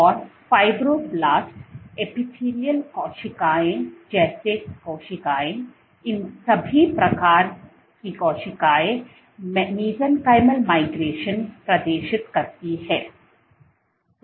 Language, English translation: Hindi, And cells like fibroblasts, epithelial cells, all these types of cells which exhibit mesenchymal migration